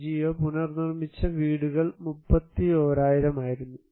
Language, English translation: Malayalam, And, another 31,000 was NGO reconstructed houses